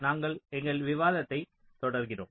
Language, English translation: Tamil, so we continue with our discussion